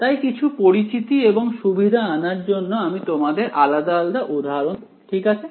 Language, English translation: Bengali, So, to give you some familiarity and comfort with it, I will give you all of these different examples alright